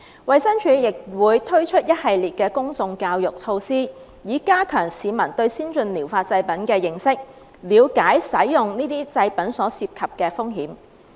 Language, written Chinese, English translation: Cantonese, 衞生署亦會推出一系列公眾教育措施，以加強市民對先進療法製品的認識，了解使用這些製品所涉及的風險。, DH would launch a series of public education initiatives to enhance public understanding of ATPs and the risks involved in using ATPs